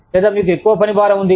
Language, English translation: Telugu, Or, you have too much workload